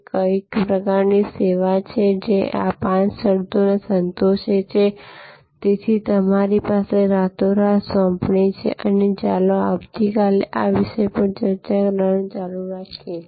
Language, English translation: Gujarati, That what are the kinds of services, which satisfy these five conditions, so that is your overnight assignment and let us continue to discuss this topic tomorrow